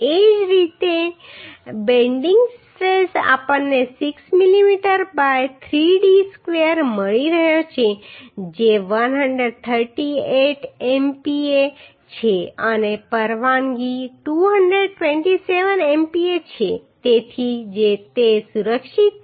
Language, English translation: Gujarati, Similarly bending stress we are getting 6mm by 3d square which is 138 MPa and permissible is 227 MPa so it is safe